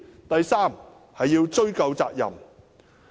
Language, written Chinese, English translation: Cantonese, 第三，要追究責任。, Third it must affix responsibilities